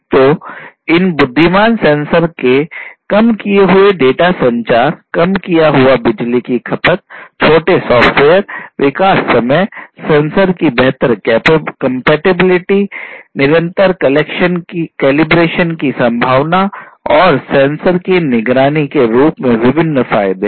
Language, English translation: Hindi, So, there are; obviously, different advantages of these intelligent sensors in terms of reduced data communication, reduced power consumption, shorter software development time, improved compatibility of sensors, possibility of continuous collaboration sorry calibration and monitoring of the sensors